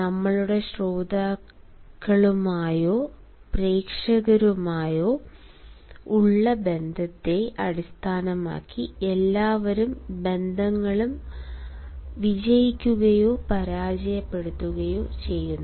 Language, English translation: Malayalam, all sorts of relationships succeed or fail based on the relationship we make with our listeners or our audience